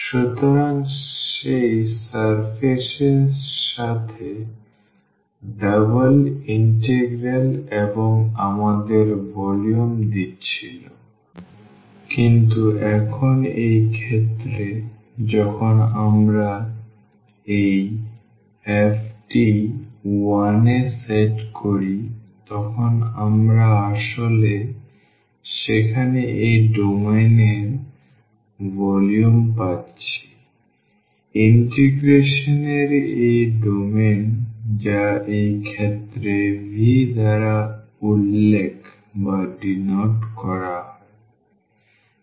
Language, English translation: Bengali, So, the double integral with that integrand that surface and was giving us the volume but, now in this case when we set this f to 1 then we are getting actually the volume of this domain there; the domain of the integration which is denoted by V in this case